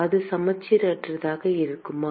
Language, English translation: Tamil, Will it be symmetric